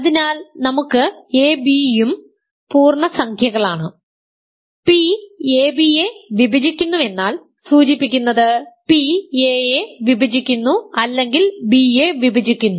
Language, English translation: Malayalam, So, let us a, b are also integers, p divides ab implies p divides a or p divides b ok